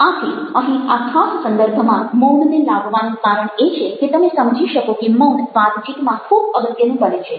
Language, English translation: Gujarati, so the reason i brought in silence here in this particular context is to make you realize that silence plays a very important in conversation